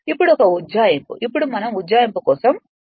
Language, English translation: Telugu, Now an approximation now we will go for approximation